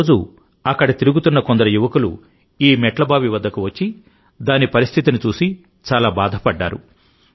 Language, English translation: Telugu, One day some youths roaming around reached this stepwell and were very sad to see its condition